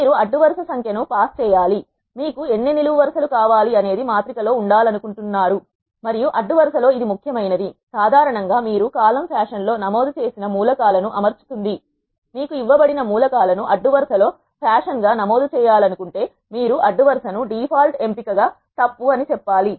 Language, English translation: Telugu, You have to pass how many number of rows, you want to have how many number of columns, you want to have in your matrix and this is the important one by row usually R arranges the elements you have entered in a column fashion, if you want the elements that are given to be entered in a row as fashion you have to say by row as true the default option for by row is false